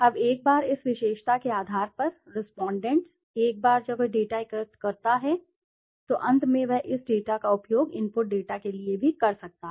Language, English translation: Hindi, Now once the respondent on the basis of this attribute, once he collects the data then finally he can use this data as also for the as input data